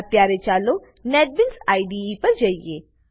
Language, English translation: Gujarati, Now let us switch to Netbeans IDE